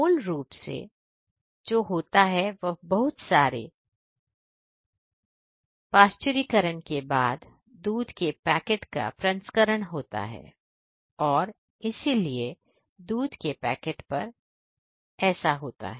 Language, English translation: Hindi, So, basically what happens is lot of pasteurisation then processing of the milk packets and so, on packeting of the milk and so, on that is what happens